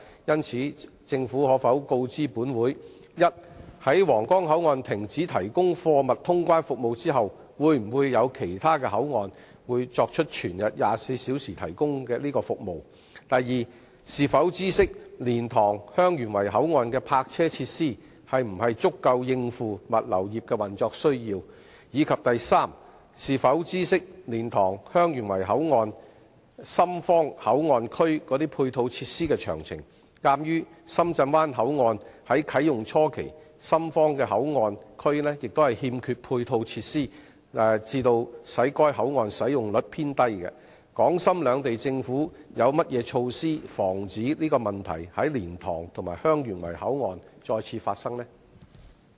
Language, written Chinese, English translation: Cantonese, 就此，政府可否告知本會：一在皇崗口岸停止提供貨物通關服務後，會否有其他口岸全日24小時提供該服務；二是否知悉，蓮塘/香園圍口岸的泊車設施會否足以應付物流業的運作需要；及三是否知悉，蓮塘/香園圍口岸深方口岸區的配套設施的詳情；鑒於深圳灣口岸在啟用初期，深方口岸區欠缺配套設施致使該口岸使用率偏低，港深兩地政府有何措施防止該問題在蓮塘/香園圍口岸發生？, In this connection will the Government inform this Council 1 whether there will be other BCPs providing round - the - clock cargo clearance service after the Huanggang Port has ceased to provide such service; 2 whether it knows if the parking facilities at LTHYW BCP will be sufficient to cope with the operational needs of the logistics industry; and 3 whether it knows the details of the ancillary facilities on the Shenzhen side of LTHYW BCP; given that the utilization rate of the Shenzhen Bay Port was on the low side during its initial phase of commissioning due to the lack of ancillary facilities on the Shenzhen side what measures the Governments of Hong Kong and Shenzhen have in place to prevent the occurrence of such problem in LTHYW BCP?